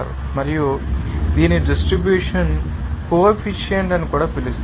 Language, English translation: Telugu, And it is also called that distribution coefficient